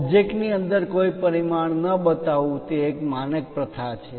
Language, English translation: Gujarati, It is a standard practice not to show any dimension inside the object